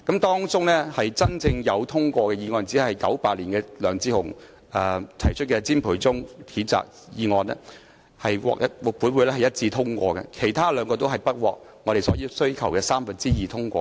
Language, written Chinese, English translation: Cantonese, 當中真正獲得通過的議案只有1998年由前議員梁智鴻提出譴責詹培忠的議案，獲本會一致通過，其餘兩項均不獲所要求的三分之二議員通過。, Of all of these motions the only one which was actually passed was the motion to censure CHIM Pui - chung proposed by former Member LEONG Che - hung in 1998 which was unanimously passed by this Council . The other two motions were not passed by two thirds of Members as required